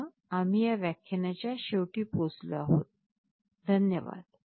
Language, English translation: Marathi, With this we come to the end of this lecture, thank you